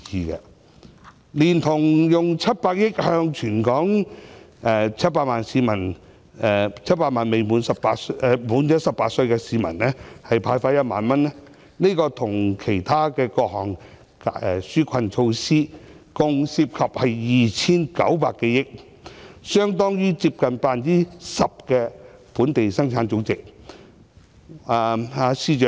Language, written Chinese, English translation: Cantonese, 當局動用700億元向全港700萬名年屆18歲的市民派發1萬元，連同其他各項紓困措施，合共涉及約 2,900 多億元，相當於本地生產總值的 10%。, The authorities will use 70 billion to disburse 10,000 to each of the 7 million Hong Kong people aged 18 or above . This initiative together with other relief measures will cost 290 - odd billion amounting to 10 % of our Gross Domestic Product